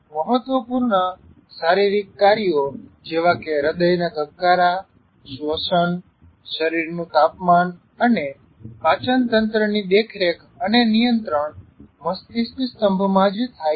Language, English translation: Gujarati, Vital body functions such as heartbeat, respiration, body temperature and digestion are monitored and controlled right in the brain stem itself